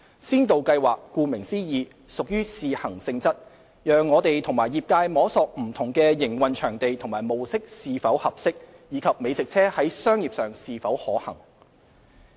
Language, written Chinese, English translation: Cantonese, 先導計劃顧名思義屬試行性質，讓我們和業界摸索不同的營運場地和模式是否合適，以及美食車在商業上是否可行。, As the name implies food truck is introduced as a pilot scheme for trial to enable us to explore the suitability of different operating locations and operation modes as well as its commercial viability